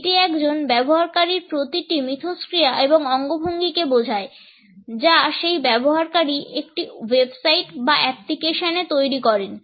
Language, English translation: Bengali, It refers to every interaction and gesture a user makes on a website or on an app